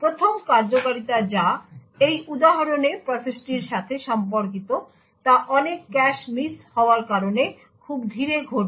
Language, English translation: Bengali, The 1st execution which in this example corresponds to the process one would thus be very slow due to the large number of cache misses that occurs